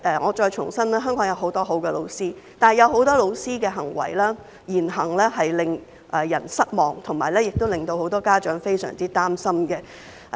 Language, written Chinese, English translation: Cantonese, 我再重申，香港有很多很好的教師，但在這段時間有很多教師的言行令人失望，令到很多家長非常擔心。, Let me reiterate that there are many very good teachers in Hong Kong but the disappointing behaviour of many teachers during this period has made many parents very worried